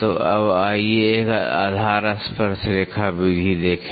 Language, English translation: Hindi, So, now, let us see a base tangent method